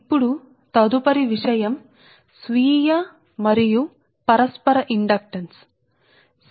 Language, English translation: Telugu, next thing will come that self and mutual inductance, right